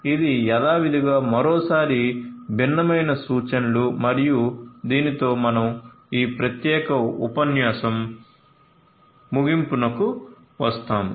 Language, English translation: Telugu, So, these are these different references once again as usual and with this we come to an end of this particular lecture as well